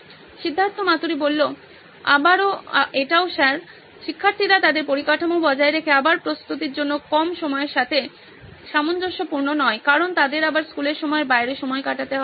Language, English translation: Bengali, This again sir, students maintaining their infrastructure is not in line with less time to prepare again because they will have to spend time outside the school time again